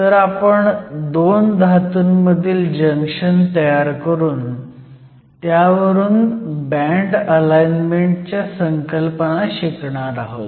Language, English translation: Marathi, So, we will form a Metal Metal Junction and we will use this to understand the concepts of band alignment